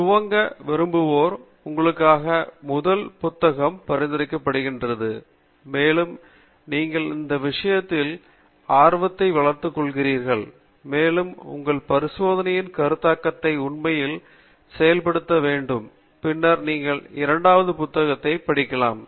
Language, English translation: Tamil, For those of you who want to get started, the first book is recommended, and once you develop interest in the subject, and you want to really implement the design of experiments concept in your experimental work, then you can start looking at the second book